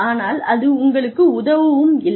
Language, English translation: Tamil, But, it is not also helping you